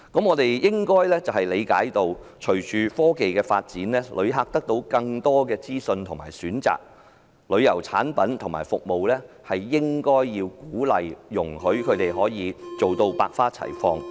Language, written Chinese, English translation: Cantonese, 我們應該理解，隨着科技發展，旅客得到更多資訊和選擇，旅遊產品和服務便應該受到鼓勵，容許它們百花齊放。, We should understand that with the advancement of technology tourists receive more information and choices thus diversity in tourism products and services should be encouraged and allowed